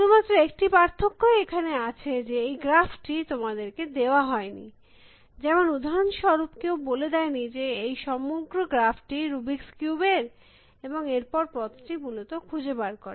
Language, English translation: Bengali, The only difference here is that the graph is not given to you, that nobody says that, this is the entire graph for the rubrics cube for example and then finds the path essentially